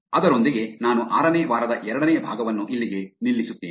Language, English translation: Kannada, With that, I will actually stop the second part of the week 6